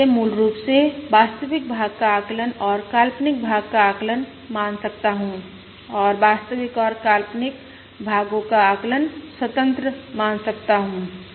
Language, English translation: Hindi, I can treat this as, basically the estimation of the real part and the estimation of the imaginary part and the estimation of the real and imaginary parts are independent